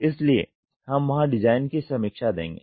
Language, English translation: Hindi, So, we will see design review there